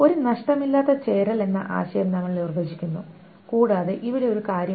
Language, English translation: Malayalam, We define this concept of a lossless join and here is is a thing